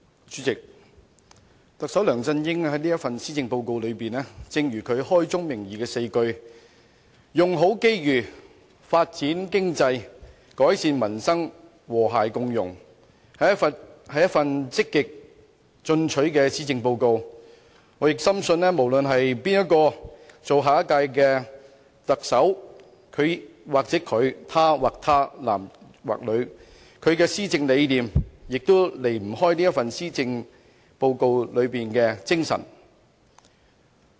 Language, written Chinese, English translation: Cantonese, 主席，特首梁振英這份施政報告，正如他開宗明義的4句："用好機遇發展經濟改善民生和諧共融"所言，是一份積極進取的施政報告，我深信無論誰人擔任下屆特首，不論是他或她、男或女，其施政理念都離不開這份施政報告的精神。, President like the four - lined message on the cover Make Best Use of Opportunities Develop the Economy Improve Peoples Livelihood Build an Inclusive Society this Policy Address of Chief Executive LEUNG Chun - ying is proactive . I deeply believe no matter who will become the next Chief Executive his or her policy vision cannot stray far from the spirit of this Policy Address